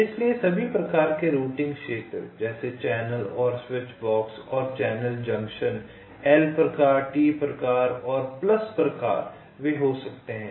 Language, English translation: Hindi, so all the types of routing regions, like ah, channel and switchboxes and the channel junctions l type, t type and plus type